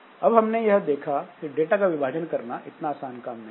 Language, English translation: Hindi, So, this data splitting is not very easy